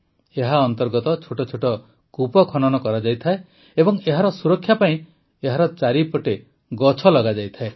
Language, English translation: Odia, Under this, small wells are built and trees and plants are planted nearby to protect it